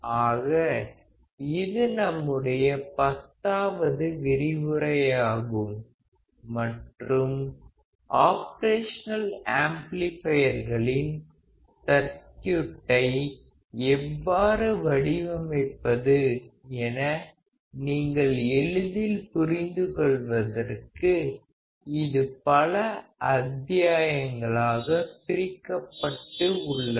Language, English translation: Tamil, So, this lecture is our 10th lecture and it is divided into several modules; so, as to help you understand how the Op amp circuits can be designed